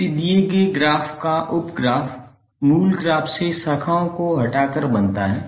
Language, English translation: Hindi, Sub graph of a given graph is formed by removing branches from the original graph